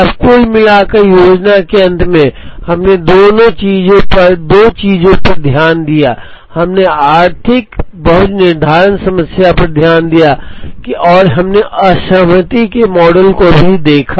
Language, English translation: Hindi, Now, at the end of aggregate planning, we looked at two things, we looked at economic lot scheduling problem and we also looked at disaggregation models